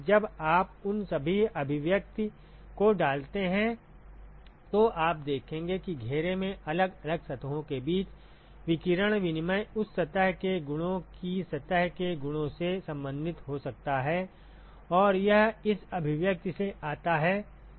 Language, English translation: Hindi, So, when you put in all those expressions you will see that the radiation exchange between individual surfaces in the enclosure can be related to the properties surface properties of that surface and that comes from this expression